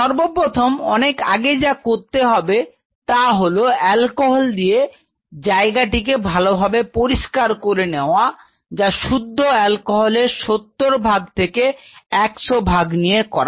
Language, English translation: Bengali, So, it means before you start the work you wipe it with alcohol properly thoroughly 70 percent to 100 percent alcohol